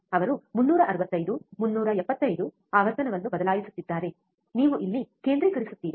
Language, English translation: Kannada, He is changing 365, 375 you focus on here what happens